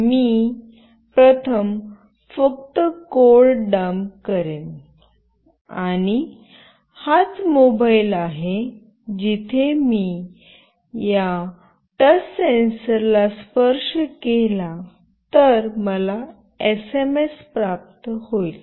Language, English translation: Marathi, I will just dump the code first and this is the mobile where I will be receiving an SMS if I touch this touch sensor